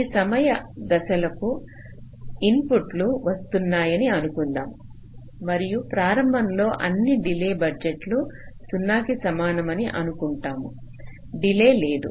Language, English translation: Telugu, let say the inputs are arriving at these time steps and just initially we assume that all delay budgets are equal to zero